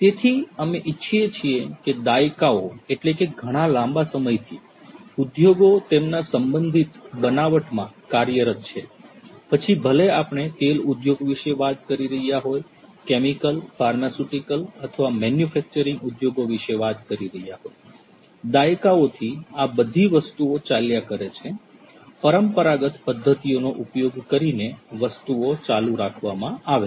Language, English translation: Gujarati, So, we want to industries have been operating in their respective fashions since ages; whether we are talking about the oil industry; whether we are talking about the chemical, pharmaceutical or manufacturing industries; things have been going on since ages, since decades, things have been carried on using traditional methodologies